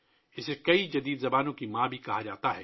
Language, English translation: Urdu, It is also called the mother of many modern languages